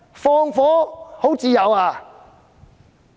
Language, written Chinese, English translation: Cantonese, 放火很自由吧？, People are now free to set fire right?